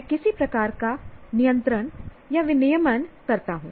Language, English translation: Hindi, I now perform some kind of a control or regulation